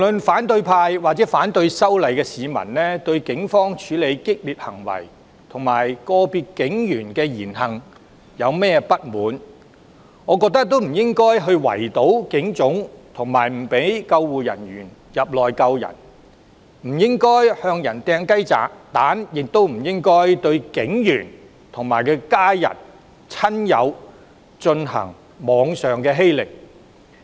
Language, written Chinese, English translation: Cantonese, 反對派或反對修例的市民對警方處理激烈行為及個別警員的言行即使如何不滿，我認為無論如何也不應圍堵警總、阻止救護員進入救援、向人投擲雞蛋，亦不應向警員及其家人、親友進行網上欺凌。, No matter how indignant the opposition or the opponents of the legislative amendment feel about the fierce responses mounted by the Police or the words and actions of certain police officers I think they should not in any case blockade the Police Headquarters prevent ambulancemen from entering the building to carry out rescues pelt others with eggs or subject police officers along with their families and friends to cyberbullying